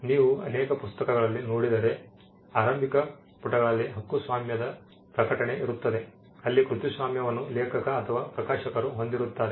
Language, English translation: Kannada, Publication you would have seen in many books there is a copyright notice in the initial pages where the copyright is held by the author or by the publisher